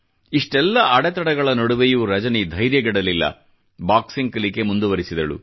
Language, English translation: Kannada, Despite so many hurdles, Rajani did not lose heart & went ahead with her training in boxing